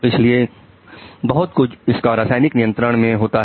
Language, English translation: Hindi, So lot of it is actually under your chemical control